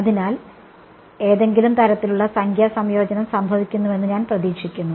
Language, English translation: Malayalam, So, I would expect some kind of numerical convergence to happen